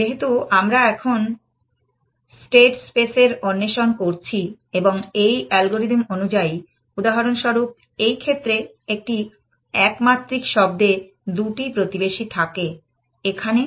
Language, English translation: Bengali, Given that, we are now exploring the states place and this algorithm says that for example, in this case, in a one dimensional word, they are two neighbors here and here